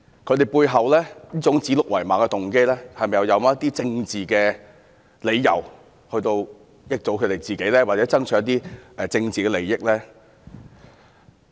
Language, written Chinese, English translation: Cantonese, 他們指鹿為馬的背後，是否有政治動機，從而益惠他們或讓他們取得一些政治利益呢？, What has caused them to call a stag a horse? . Is it politically motivated so that they can reap certain benefits or political gains?